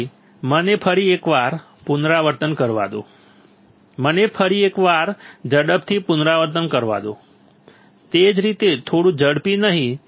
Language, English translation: Gujarati, So, let me once again repeat it let me once again quickly repeat it, not in the same fashion little bit faster right